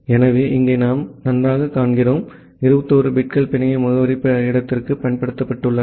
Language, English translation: Tamil, So, here we see that well, the 21 bits have been used for the network address space